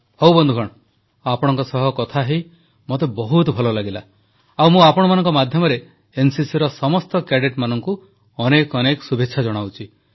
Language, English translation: Odia, Ok,friends, I loved talking to you all very much and through you I wish the very best to all the NCC cadets